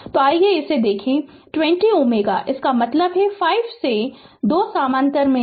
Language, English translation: Hindi, So, let us see it is is equal to 20 ohm; that means, and 5 ohm these 2 are in parallel